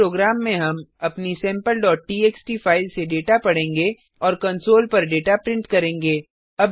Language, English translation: Hindi, In this program we will read data from our sample.txt file and print the data on the console